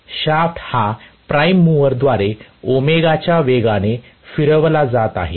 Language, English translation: Marathi, The shaft is rotated at a speed of ω by the prime mover